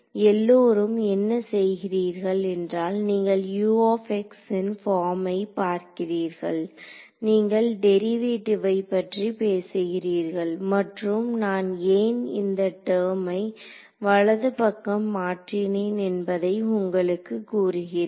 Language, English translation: Tamil, So, all of you what you are doing is you are looking at the form of U x you are talking the derivative and telling you what it is for getting that why did I move this term to the right hand side it should be known